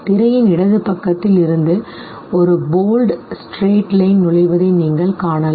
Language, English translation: Tamil, You can see a bold straight line entering from the left side of the screen